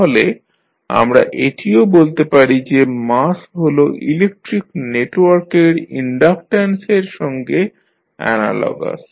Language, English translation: Bengali, Now, we can also say that mass is analogous to inductance of electric network